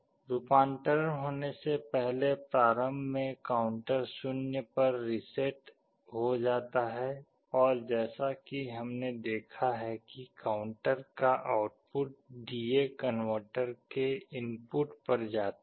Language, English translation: Hindi, Before the conversion starts the counter is reset to 0, and as we have seen the output of the counter goes to the input of the D/A converter